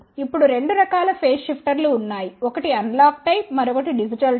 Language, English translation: Telugu, Now there are two types of phase shifters, one is analog type, another one is digital type